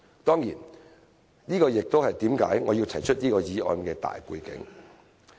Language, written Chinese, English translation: Cantonese, 當然，這也是我要提出這項議案的大背景。, Of course it was against this major background that I proposed this motion